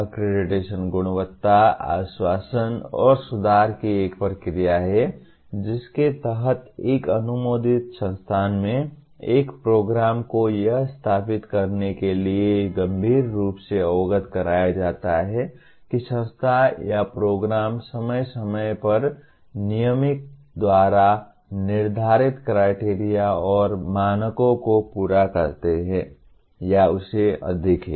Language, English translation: Hindi, Accreditation is a process of quality assurance and improvement whereby a program in an approved institution is critically apprised to verify that the institution or the program continues to meet and or exceed the norms and standards prescribed by regulator from time to time